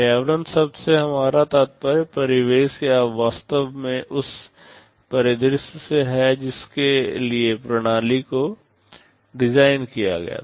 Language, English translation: Hindi, By the term environment we mean the surroundings or actually the scenario for which the system was designed